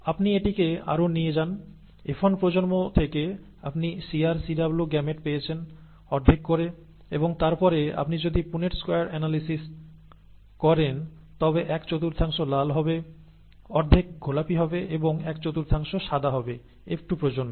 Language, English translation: Bengali, You take this further, you have the gametes from the F1 generation as C capital R, C capital W, half and half and then if you do a Punnett square analysis, one fourth would be red, half would be pink and one fourth would be white in the F2 generation